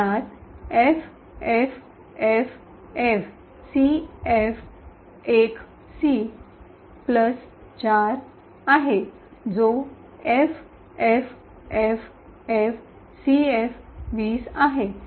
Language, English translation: Marathi, This has the address FFFFCF1C plus 4 that is FFFFCF20